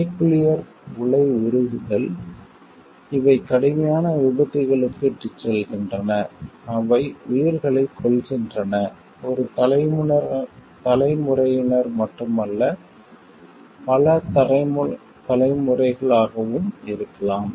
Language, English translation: Tamil, The reactor meltdowns these have been leading to serious accidents, which have been claiming lives and not only of a single generation maybe across generations also